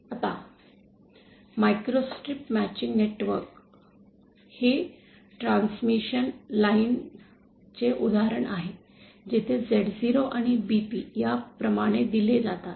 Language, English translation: Marathi, Now microstrip matching network is an example of of of a transmission line where the Z0 and BP are given like this